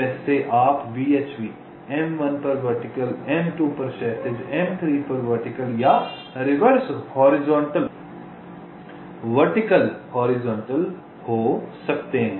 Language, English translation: Hindi, like you can have either v, h v, vertical on m one, horizontal on m two, vertical on m three, or the reverse: horizontal, vertical, horizontal